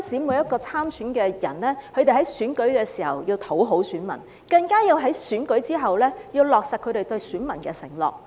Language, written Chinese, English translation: Cantonese, 每一位參選人不僅在選舉時要討好選民，在選舉之後，更加要落實他們對選民的承諾。, Every candidate should not only please the voters during the election but also fulfil their promises to the voters after the election